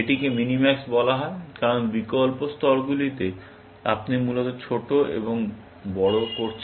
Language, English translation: Bengali, It is called minimax, because at alternative layers, you are minimizing and maximizing, essentially